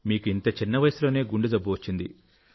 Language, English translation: Telugu, You got heart trouble at such a young age